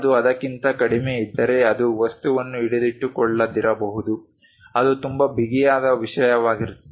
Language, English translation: Kannada, If it is lower than that it may not hold the object, it will be very tight kind of thing